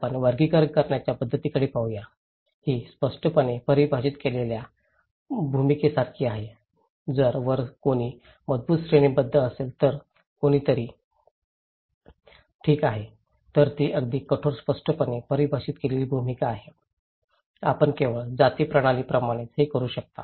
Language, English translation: Marathi, Let’s look at hierarchical way of looking, it’s like clearly defined role, if there is a strong hierarchy somebody on the top and somebody are bottom okay, they are very rigid clearly defined role, you can only do that like caste system for example